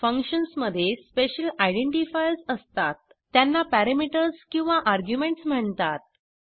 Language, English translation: Marathi, Functions contains special identifiers called as parameters or arguments